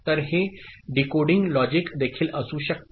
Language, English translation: Marathi, So, that could also be a decoding logic